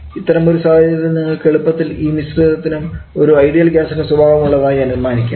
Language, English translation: Malayalam, You can easily assume that mixture also to behave like an ideal gas